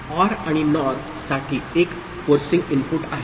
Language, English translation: Marathi, For OR and NOR, 1 is the forcing input